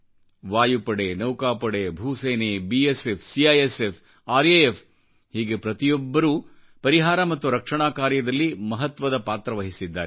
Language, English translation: Kannada, The Air Force, Navy, Army, BSF, CISF, RAF, every agency has played an exemplary role in the rescue & relief operations